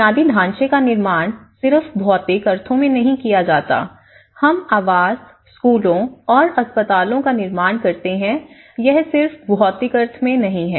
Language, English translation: Hindi, It is not just in the physical sense, you know that we build infrastructure, we build housing, we build the schools, we build hospitals, this is not just only in the physical sense